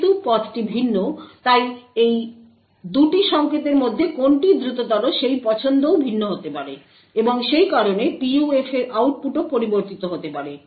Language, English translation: Bengali, Since the path is different, the choice between which of these 2 signals is faster may also be different, and therefore the output of the PUF may also change